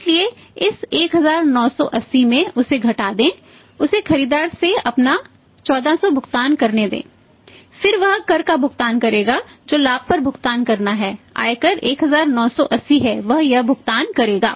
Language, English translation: Hindi, So, in this 1980 let subtract that let him pay his 1400 from the buyer then he will make the payment of the tax which he has to pay on the on the profit income taxes 1980 he will be paying this